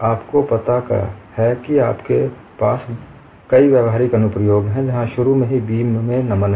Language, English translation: Hindi, You have very many practical applications, where initially the beam is bent